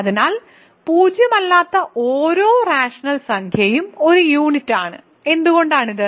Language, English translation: Malayalam, So, every non zero rational number is a unit, why is this